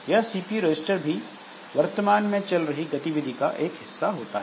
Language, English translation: Hindi, So, this CPU registers, so they are also a part of the current activity